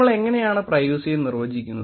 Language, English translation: Malayalam, How do we define privacy